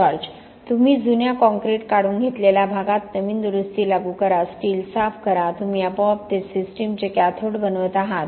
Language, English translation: Marathi, Yes You apply fresh repair to an area that you have taken away the old concrete, clean the steel, automatically you are making that the cathode of the system